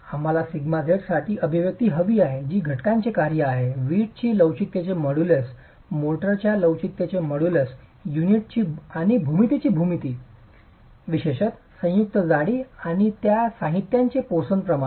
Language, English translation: Marathi, We want an expression for sigma z which is a function of the constituents, the modulus of elasticity of the brick, the model is elasticity of the motor, the geometry of the unit and the motor, particularly the joint thickness and the poisons ratio of these materials